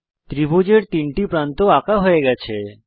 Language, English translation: Bengali, 3 sides of the triangle are drawn